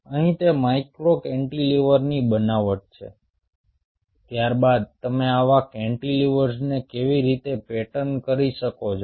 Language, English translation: Gujarati, here it is fabrication of micro cantilever, followed by how you can pattern such cantilevers